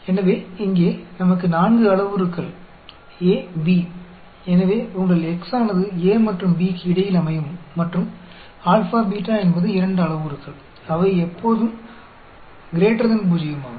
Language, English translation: Tamil, So here, we have 4 parameters A, B; so, your x will lie between A and B and alpha, beta are 2 parameters which are always greater than zero